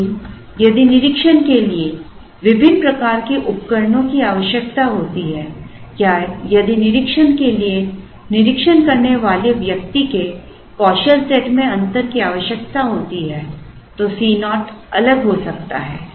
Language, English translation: Hindi, But, if the inspection requires different types of equipment or if the inspection requires a difference skill set of the person inspecting then C naught can be different